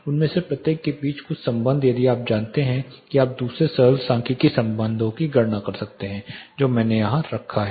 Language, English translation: Hindi, Some relation between each of them if you know one you can calculate the other simple statistical relationships I have put here